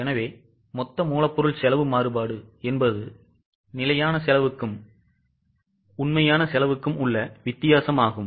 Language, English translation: Tamil, So, the total material cost variance is a difference between standard cost and actual cost